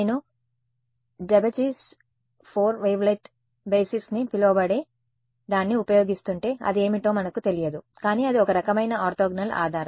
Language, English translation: Telugu, If I keep I use what is called a Daubechies 4 wavelet basis we need not know what it is, but it is some kind of an orthogonal basis